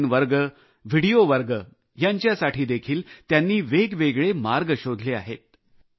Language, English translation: Marathi, Online classes, video classes are being innovated in different ways